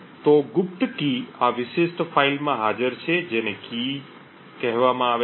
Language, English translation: Gujarati, So the secret key is present in this particular file called key